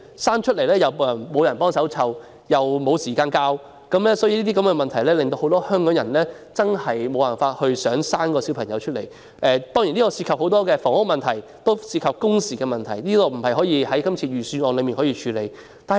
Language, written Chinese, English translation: Cantonese, 誕下小孩後，沒有人幫忙照顧又沒有時間教育，這些問題令很多香港人不願意生育。當中涉及房屋問題，也涉及工時問題，並不是這份預算案能夠處理得到的。, After the birth of children nobody helps to take care of them and parents do not have time to teach them . Many Hong Kong people are reluctant to have children because of the problems relating to housing and working hours etc which cannot be tackled by this Budget